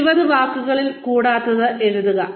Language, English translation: Malayalam, Write it down, in not more than 20 words